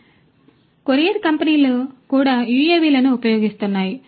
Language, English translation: Telugu, So, courier companies are also using UAVs